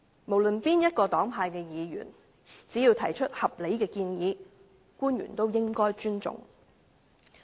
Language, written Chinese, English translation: Cantonese, 無論是哪一個黨派的議員，只要提出合理的建議，官員也應該尊重。, The officials should respect Members regardless of their political affiliations as long as the suggestions made by them are reasonable